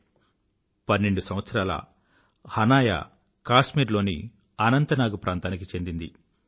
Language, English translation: Telugu, Hanaya is 12 years old and lives in Anantnag, Kashmir